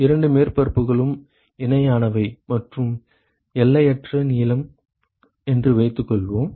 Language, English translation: Tamil, Suppose the two surfaces are parallel and infinitely long ok